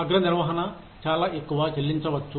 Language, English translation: Telugu, Top management may be paid, too much